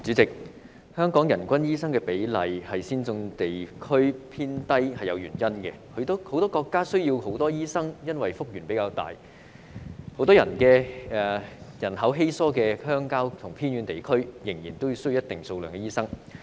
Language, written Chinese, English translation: Cantonese, 代理主席，香港人均醫生比例在先進地區之中偏低是有原因的，許多國家需要較多醫生，是因為幅員廣闊，很多人口稀疏的鄉郊和偏遠地區，仍然需要一定數量的醫生。, Deputy President there are reasons for the relatively low doctor to population ratio in Hong Kong compared with other advanced regions . A lot of countries need more doctors because of their vast territories . Many sparsely populated rural and remote areas still need a certain number of doctors